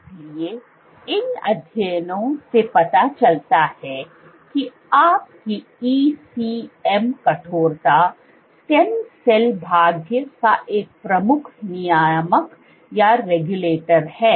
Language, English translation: Hindi, So, these studies demonstrate that your stiffness ECM stiffness is a major regulator of stem cell fate